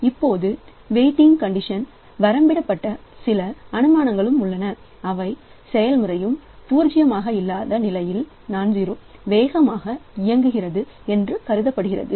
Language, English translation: Tamil, Now there are certain assumptions also in bounded weighting condition that is assume that each process executes as a non zero speed